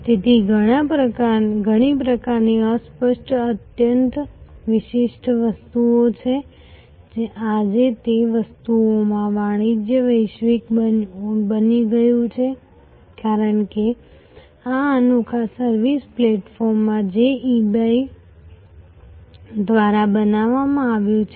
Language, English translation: Gujarati, So, there are many types of obscure highly specialized items, today the commerce in those items have now become global, because of this unique service platform that has been created by eBay